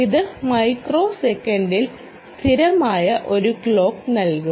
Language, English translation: Malayalam, it should give you a stable clock out in microseconds